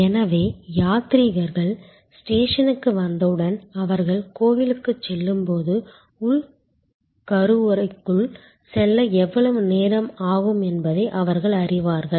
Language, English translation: Tamil, So, pilgrims know as soon as they arrive at the station that when they should go to the temple, they know how long it will approximately take them to go in to the inner sanctum